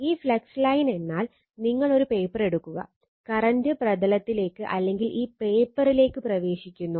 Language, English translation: Malayalam, This flux line means you take a paper, and current is entering into the plane or into the paper right